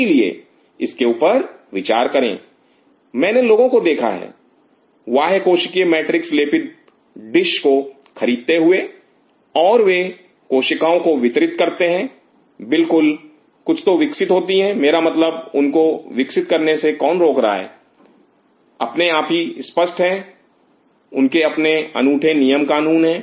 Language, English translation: Hindi, So, please think over it I have seen people buying dishes coated with some extra is are extra cellular matrix and they grow cells surely the something will grow I mean whose stopping them from growing like explicit itself there is a thumb rule python